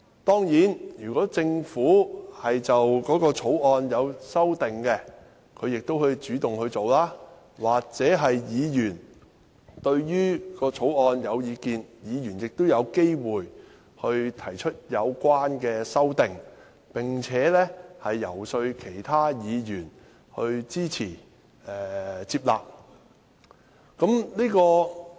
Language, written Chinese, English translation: Cantonese, 當然，如果政府擬修訂條例草案，可以主動提出，而議員對於條例草案有意見，亦有機會提出有關的修正案，並且遊說其他議員支持和接納。, Of course if the Government intends to amend the Bills it can take the initiative to propose amendments and if Members hold different views on the Bills they also have the opportunity to propose relevant amendments and lobby for the support and approval of other Members